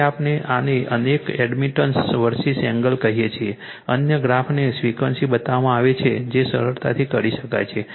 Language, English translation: Gujarati, So, we this your what you call several admittance verses angle other graphs are shown frequency right from that you can easily you can easily justify this one